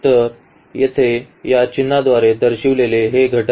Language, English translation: Marathi, So, these elements denoted by this symbol here